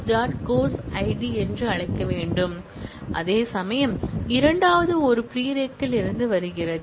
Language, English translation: Tamil, So, it should more formally be called course dot course id whereas, the second one comes from prereq